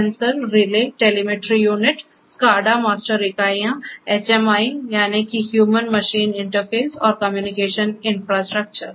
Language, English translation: Hindi, Sensors, Relays, Telemetry Units, SCADA master units, HMIs that means, the Human Machine Interfaces and the Communication Infrastructure